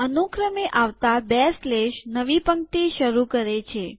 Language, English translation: Gujarati, Two consecutive slashes start a new line